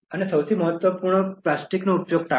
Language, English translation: Gujarati, And the most important of all avoid use of plastic